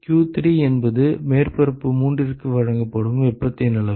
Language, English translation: Tamil, q3 is the amount of heat that is supplied to surface three